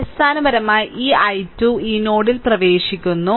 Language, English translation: Malayalam, So, basically this i 2 is entering at this node